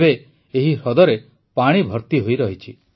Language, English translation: Odia, Now this lake remains filled with water